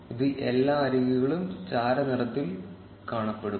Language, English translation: Malayalam, This will make all the edges appear grey